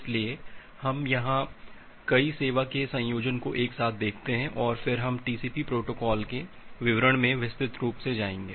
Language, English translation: Hindi, So, we look into this combination of multiple service together here and then we’ll go to the details of the TCP protocol in details